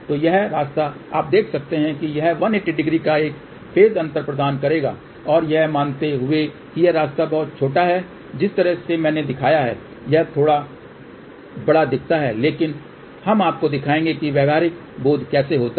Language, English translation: Hindi, So, this path you can see that this will provide a phase difference of one 180 degree and assuming that this path is very very small the way I have shown it looks little larger but we will show you how the practical realization takes place